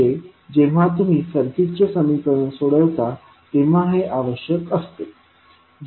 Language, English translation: Marathi, So, these are required whenever you are solving the circuit equation